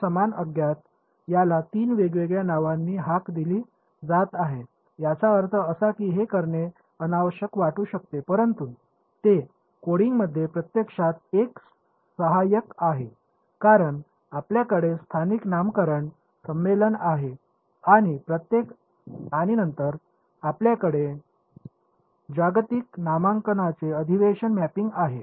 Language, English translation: Marathi, So, the same unknown is being called by three different names it, I mean it may seem unnecessary to do it, but it actually is a phenomenally helpful in coding, because you have a local naming convention and then you have a mapping to global naming convention